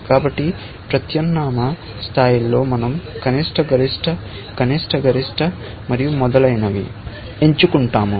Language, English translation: Telugu, So, at alternate level, we choose the minimum, the maximum, the minimum, the maximum, and so on